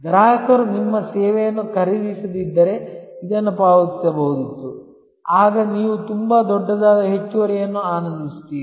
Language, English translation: Kannada, If the customer didnít buy your service would have paid this, then obviously, you enjoy a very huge surplus